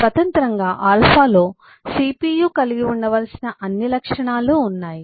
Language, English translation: Telugu, alpha has all the properties that cpu need to have